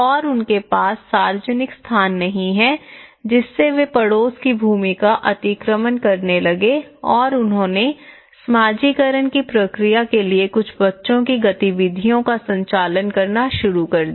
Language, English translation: Hindi, And they donÃt have public places lets they started encroaching the neighbourhood lands and they started conducting some children activities for socialization process